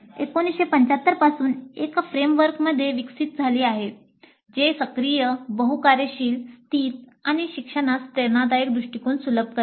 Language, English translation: Marathi, ADE has evolved since 1975 into a framework that facilitates active, multifunctional situated and inspirational approaches to learning